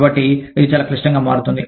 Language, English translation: Telugu, So, that becomes very complex